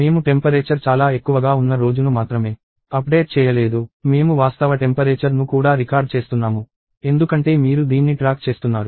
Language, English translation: Telugu, I not only update the day in which the temperature was very high; I also record the actual temperature, because that is what you are actually tracking